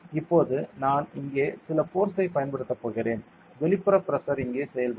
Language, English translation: Tamil, Now I am going to apply some force here and external pressure will be acting over here ok